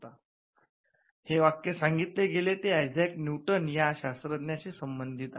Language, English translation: Marathi, Now, this is a code that is attributed to Isaac Newton